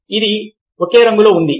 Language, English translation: Telugu, was this the same colour